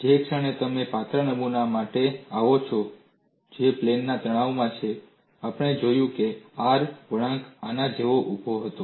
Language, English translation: Gujarati, The moment you come for a thin specimen which is in plane stress, we saw that the R curve was very steep like this